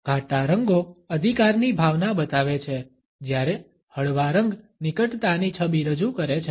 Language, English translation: Gujarati, A darker colors convey a sense of authority whereas, lighter shades project an approachable image